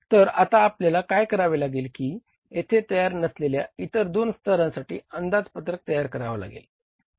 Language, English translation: Marathi, So, what you have to do is now that to prepare the budget for the two other levels which is not prepared here